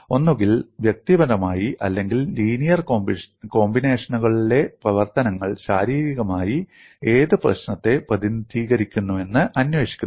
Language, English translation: Malayalam, Either the functions individually or in linear combinations are investigated to see what problem it represents physically